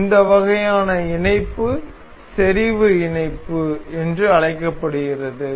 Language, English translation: Tamil, So, this is this kind of mating is called concentric mating